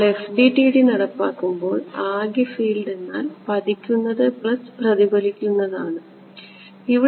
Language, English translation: Malayalam, We are not, so far, going into FDTD implementation just total field is incident plus reflected